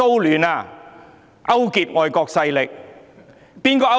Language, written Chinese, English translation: Cantonese, 是誰勾結外國勢力？, Who had colluded with foreign powers?